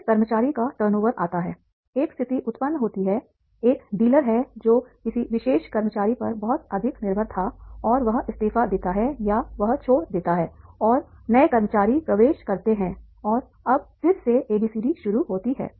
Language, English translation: Hindi, A situation arise that is a dealer who was very much dependent on a particular employee and he resigns or he leaves and the new employees enter and now again the ABCD starts